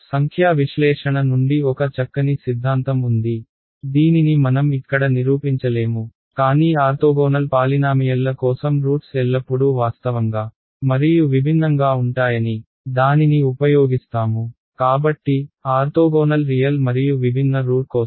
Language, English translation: Telugu, There is a nice theorem from numerical analysis which we will not prove over here, but it says that for orthogonal polynomials the roots are always real and distinct, we will just use it ok; so, for orthogonal real and distinct roots alright ok